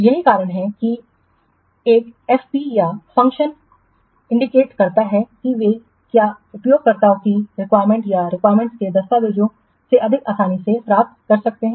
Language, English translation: Hindi, So, that's why a P's or function points they can be more easily derived from the what users requirements or from the requirements documents